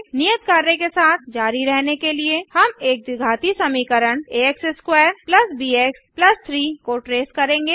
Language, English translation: Hindi, To continue with the assignment, we will be tracing a quadratic function a x^2 + bx + 3